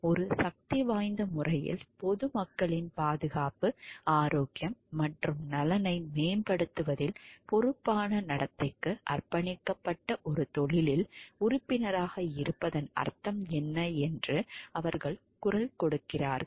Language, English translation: Tamil, In a powerful way, they voice what it means to be a member of profession committed to a responsible conduct in promoting the safety, health and welfare of the public